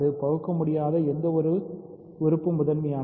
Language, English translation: Tamil, So, any irreducible element is prime